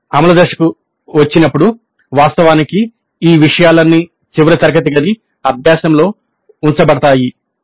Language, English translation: Telugu, Then we came to the implement phase where actually all these things really are put into the final classroom practice